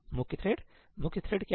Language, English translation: Hindi, Main thread; what is the main thread